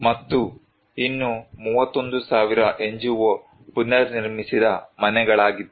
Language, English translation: Kannada, And, another 31,000 was NGO reconstructed houses